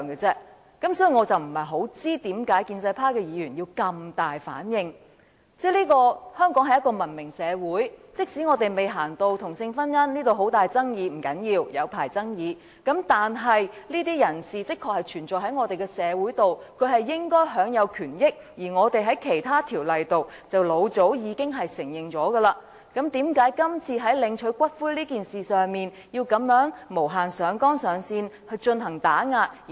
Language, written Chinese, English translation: Cantonese, 香港是一個文明社會，即使未走到同性婚姻這一步，社會上仍有很大爭議，不要緊，我們可以繼續長久地辯論下去，但這些人士確實存在於我們的社會，他們應該享有權益，而我們在其他條例中亦早已予以承認，為何今次在領取骨灰一事上要這樣無限上綱上線地打壓他們？, Hong Kong is a civilized society and even though same - sex marriage has yet been recognized and there are still huge controversies in the community never mind we can debate it continuously for a long time . But these people do exist in our society and they are entitled to the rights and interests which have long been recognized in other ordinances so why concerning the claim of ashes should they be oppressed in such a way by Members infinitely exaggerating the issue?